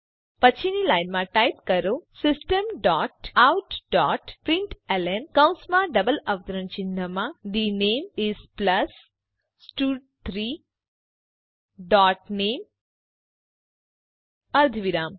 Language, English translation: Gujarati, next line type System dot out dot println within brackets and double quotes The name is, plus stud3 dot name semicolon